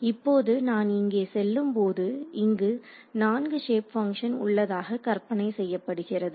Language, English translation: Tamil, Now when I go over here this I can you conceivably have four shape functions over here